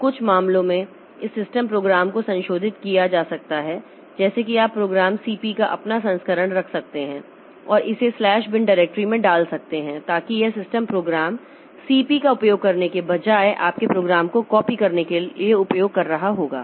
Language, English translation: Hindi, So, this for in some cases, this system programs can be modified modified like you can have your own version of the program CP and put it into the slash bin directory so that it will be using your program for copying rather than using the system program CP